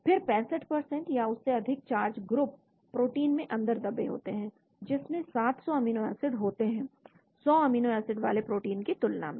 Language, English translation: Hindi, Then 65% of more charge groups are buried in protein containing 700 amino acids than in proteins containing 100 amino acids